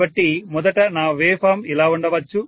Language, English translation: Telugu, So originally maybe my wave form was like this